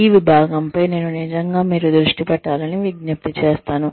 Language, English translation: Telugu, This section, I would really urge you to, focus on